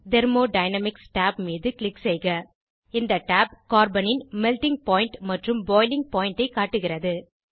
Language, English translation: Tamil, Click on Thermodynamics tab This tab shows Melting Point and Boiling point of Carbon